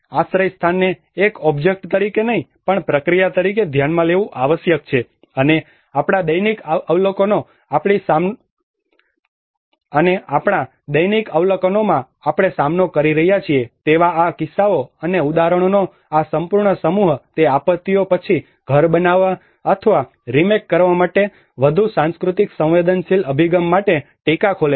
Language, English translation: Gujarati, Shelter must be considered as a process but not as an object, and this whole set of cases and examples which we are facing in our daily observations it opens a call for more culturally sensitive approaches to home making or remaking in the aftermath of disasters